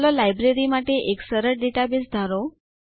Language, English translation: Gujarati, Let us consider a simple database for a Library